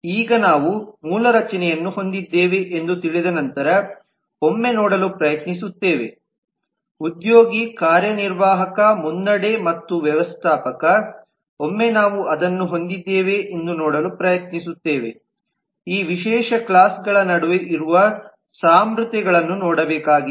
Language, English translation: Kannada, now we try to look at once we know that we have a basic structure which is employee, executive, lead, and manager once we have that then we try to see are there commonalities that exist between these specialize classes